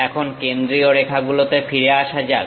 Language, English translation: Bengali, Now coming back to center lines